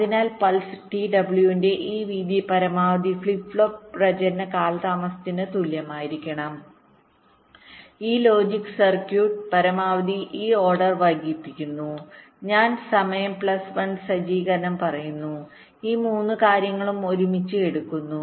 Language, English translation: Malayalam, so the condition is your: this width of the pulse, t w must be equal to maximum of flip flop propagation delay maximum of this logic circuit, delay this order i am saying plus setup of time